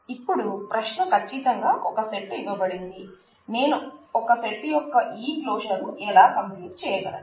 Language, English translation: Telugu, Now, the question certainly is given a set how do I compute this closure of a set